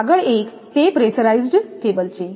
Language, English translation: Gujarati, Next, one is that pressurized cables